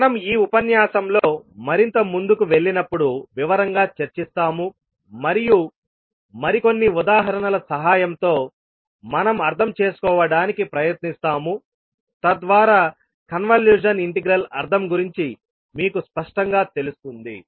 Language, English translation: Telugu, So we will discuss more in detail when we will proceed more in this particular lecture and we will try to understand with help of few more examples so that you are clear about the meaning of convolution integral